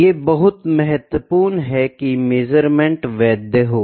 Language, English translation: Hindi, It is very important that the measurement is valid